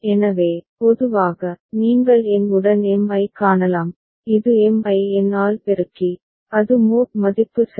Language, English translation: Tamil, So, in general, you can see that m with n, it will be m multiplied by n, that will be the mod value ok